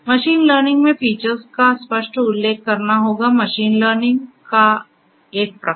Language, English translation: Hindi, Features will have to be explicitly mentioned in machine learning, a type of machine learning